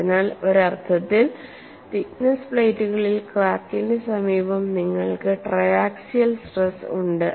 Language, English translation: Malayalam, So, in a sense, in thick plates you have triaxial state of stress near the crack and that zone is indicated here